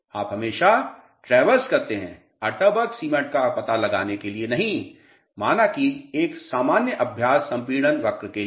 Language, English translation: Hindi, You always traverse from not for finding out Atterberg limits, a normal practice compression curve let us say